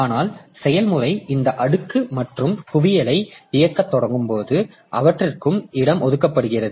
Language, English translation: Tamil, So, but when the process starts running, this stack and heap so they are also allocated space